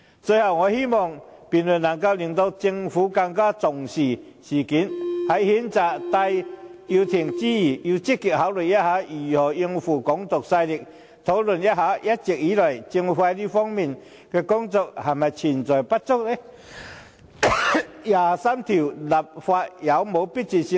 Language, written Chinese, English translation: Cantonese, 最後，我希望這項辯論能令政府更加重視事件，在譴責戴耀廷之餘，亦要積極考慮如何應付"港獨"勢力，並檢討一直以來，政府在這方面的工作是否不足？第二十三條立法有否迫切性？, Lastly I hope the debate can make the Government take the incident more seriously . In addition to condemning Benny TAI it also has to actively consider how to tackle Hong Kong independence forces and review whether its efforts in this respect have been inadequate and whether it is urgent to legislate for Article 23